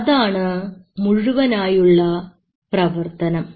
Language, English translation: Malayalam, This is the whole process